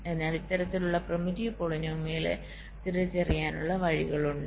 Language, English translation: Malayalam, so there are ways to identify ah, this, this kind of primitive polynomials